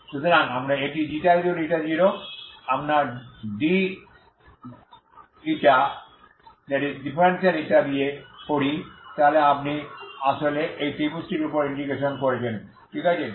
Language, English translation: Bengali, So we do it from ξ=η0 with your ξ0 dη then actually you are doing integration over this triangle, okay